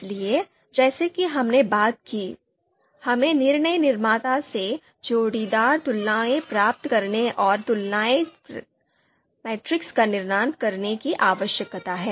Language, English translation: Hindi, So as we talked about, we need to get you know pairwise comparisons from decision maker, so we need to construct comparison matrix matrices